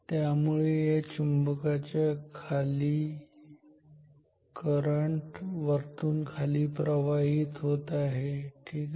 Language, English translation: Marathi, So, immediately below this magnet the current is flowing from top to button ok